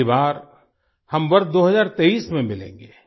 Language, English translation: Hindi, Next time we will meet in the year 2023